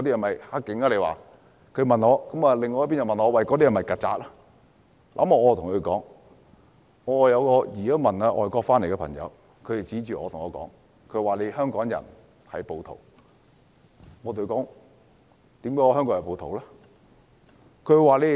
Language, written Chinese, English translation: Cantonese, 另一方又問我那些人是否"曱甴"，我對他們說，有移民外國回來的朋友指着我說香港人是暴徒，我問他為何這樣說？, I told them that a friend who returned to Hong Kong after emigration to a foreign country said to me that Hong Kong people were rioters . I asked him why he made that comment